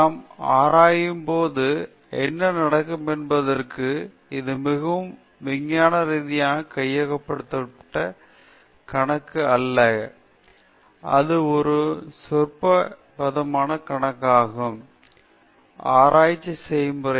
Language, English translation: Tamil, This is not a very scientifically classified account of what happens when we do research; it is just a commonsensical account of it the research process